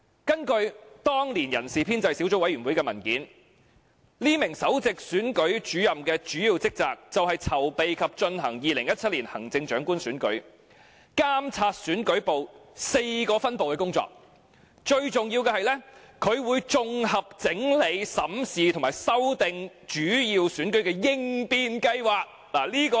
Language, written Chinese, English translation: Cantonese, 根據當年人事編制小組委員會的文件，該名首席選舉事務主任的主要職責是籌備及進行2017年行政長官選舉，監察選舉部4個分部的工作，最重要是負責綜合整理、審視及修訂主要選舉的應變計劃。, According to the document of the Establishment Subcommittee back then the main duties of that Principal Executive Officer are to prepare and conduct the 2017 Chief Executive Election; to supervise the four sub - divisions under the Elections Division; and most importantly to consolidate review and revise contingency plans for the major elections